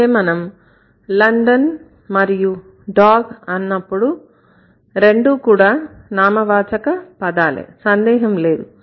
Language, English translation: Telugu, So, when you say London and when you say dog, both are nouns, no doubt about it